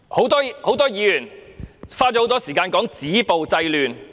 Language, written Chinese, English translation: Cantonese, 多位議員花了長時間談"止暴制亂"。, Members have spent a great deal of time on discussing the necessity to stop violence and curb disorder